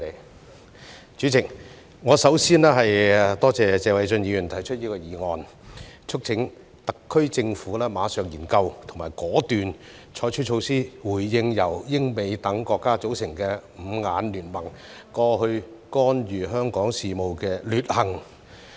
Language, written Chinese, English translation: Cantonese, 代理主席，我首先多謝謝偉俊議員提出議案，促請特區政府馬上研究及果斷採取措施，回應由英美等國家組成的"五眼聯盟"過去干預香港事務的劣行。, Deputy President I would first like to thank Mr Paul TSE for proposing a motion which urges the SAR Government to immediately conduct a study and decisively adopt measures to respond to the previous despicable interference in Hong Kongs affairs by the Five Eyes alliance which consists of such countries as the United Kingdom and the United States